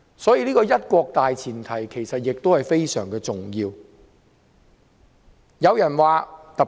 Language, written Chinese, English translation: Cantonese, 所以，"一國"的大前提其實是非常重要的。, This is why one country is indeed a very important premise